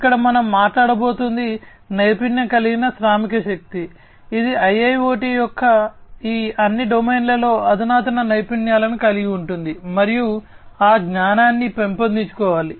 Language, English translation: Telugu, Here we are going to talk about is skilled workforce, which will have advanced skills in all these domains of IIoT, and that knowledge has to be built up